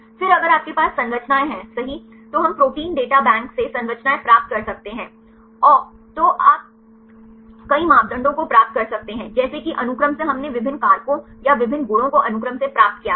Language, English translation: Hindi, Then if you have the structures right we can get the structures from Protein Data Bank right then you can derive several parameters, like the from sequence we derived various factors or the various properties we derived from sequence